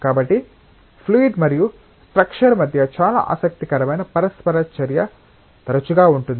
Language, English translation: Telugu, So, there is often a very interesting interaction between fluid and structure